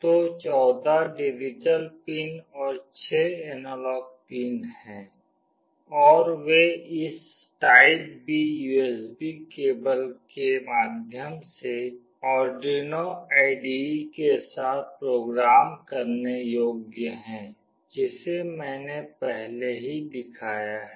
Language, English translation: Hindi, So, there are 14 digital pins and 6 analog pins, and they is programmable with Arduino IDE via this typeB USB cable which I have already shown